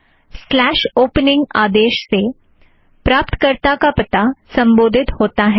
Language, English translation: Hindi, The command slash opening is used to address the recipient